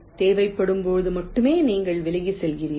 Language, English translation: Tamil, you are moving away only when required